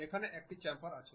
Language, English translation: Bengali, Here we have a Chamfer